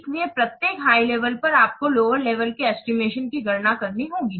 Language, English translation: Hindi, At each higher level, then you calculate the estimates how